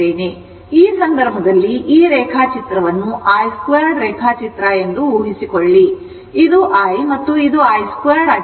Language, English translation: Kannada, So, in this case, in this case what has been done that suppose this plot is i square plot, this is the i and if you plot i square